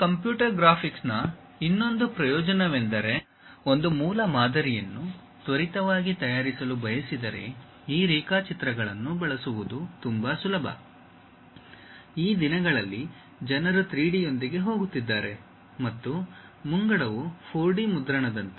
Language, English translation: Kannada, The other advantage of these computer graphics is if one would like to quickly prepare a prototype it is quite easy to use these drawings; these days people are going with 3D and the advance is like 4D printing